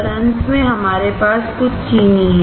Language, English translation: Hindi, And finally, we have some sugar